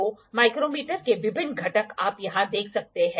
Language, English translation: Hindi, So, the various components of micrometer you can see here